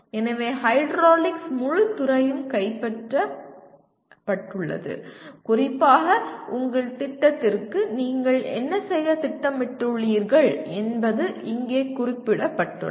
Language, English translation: Tamil, So the entire field of hydraulics is captured and specifically what you are planning to do to your program is captured here